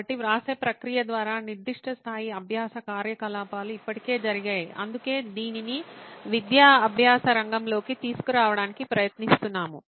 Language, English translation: Telugu, So certain level of learning activity has already happened by the process of writing it down, which is why we are trying to bring this into the educational learning sector